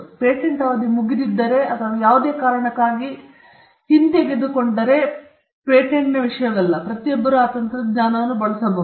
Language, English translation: Kannada, This is not the case with the patent, if the patent is expired or revoked for whatever reason, then everybody can use that technology